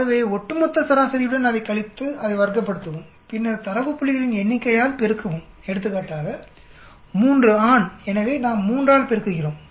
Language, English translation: Tamil, So you subtract that with the overall mean, square it and then you multiply by number of data points in that for example, there are 3 male so we multiply by 3